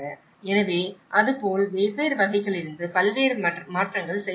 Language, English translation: Tamil, So, like that, there has been a variety of changes from different categories